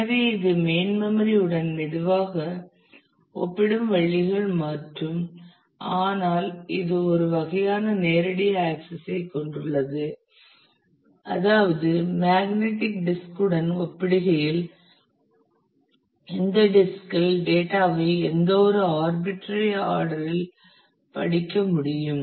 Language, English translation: Tamil, So, it is ways slower compare to the main memory and, but it is has a kind of direct access which means that it is possible to read data on this disk in any arbitrary order in compare to magnetic disk